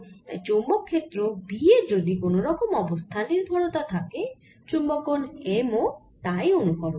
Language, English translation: Bengali, so if magnetic field b has certain kind of dependence on the space, magnetization m will mimic that dependence